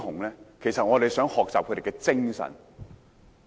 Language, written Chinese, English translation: Cantonese, 因為我們想學習他們的精神。, This is because we want to learn from their spirits